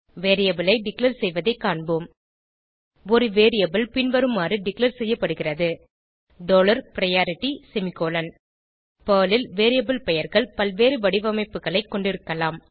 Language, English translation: Tamil, Let us look at Variable Declaration: A variable can be declared as follows: dollar priority semicolon Variable names in Perl can have several formats